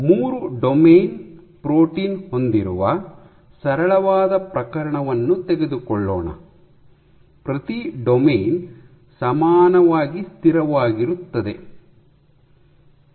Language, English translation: Kannada, Let us take a simplest case you have a 3 domain protein, with each domain “equally stable”